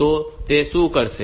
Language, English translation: Gujarati, So, what it will do